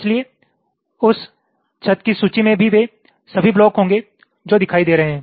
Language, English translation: Hindi, so that ceiling, that list, will contain all those blocks which are visible